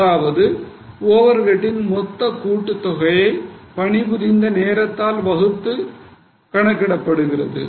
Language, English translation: Tamil, We take the total for that type of overhead divided by number of hours